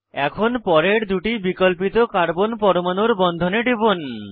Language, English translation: Bengali, Click on the bond between the next two alternate carbon atoms